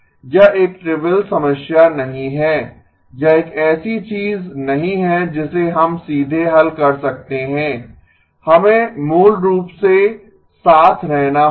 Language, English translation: Hindi, It is not a trivial problem, it is not something that we can solve straight away, we have to basically plug along